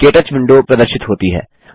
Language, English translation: Hindi, The KTouch window appears